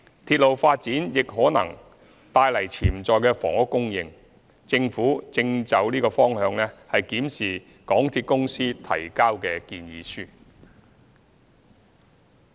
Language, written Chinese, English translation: Cantonese, 鐵路發展亦可能帶來潛在的房屋供應，政府正就此方向檢視港鐵公司提交的建議書。, Railway development may also bring potential housing supply . The Government is reviewing the proposals submitted by MTRCL in this direction